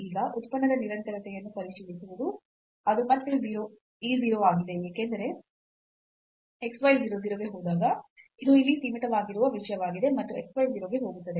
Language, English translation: Kannada, Now checking the continuity of the function is again e 0, because when x y goes to 0 0 this is something bounded sitting here and x y goes to 0